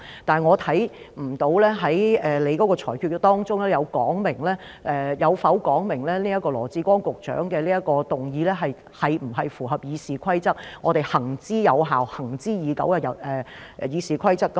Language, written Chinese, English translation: Cantonese, 但是，從你的裁決當中，我看不到有否說明羅致光局長這項議案是否符合我們行之有效、行之以久的《議事規則》。, However from your ruling I do not see any indication as to whether Secretary Dr LAW Chi - kwongs motion is in compliance with our long - established and effective RoP